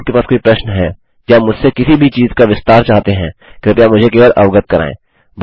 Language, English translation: Hindi, If you have any questions or would like me to expand on anything, please just let me know